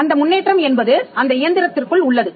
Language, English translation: Tamil, The improvement rests inside the engine